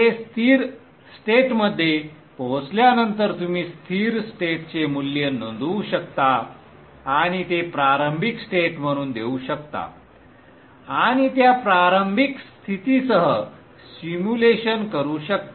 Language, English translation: Marathi, After it reaches steady state you can then note down the steady state value and give it as initial conditions and do the simulation with those initial conditions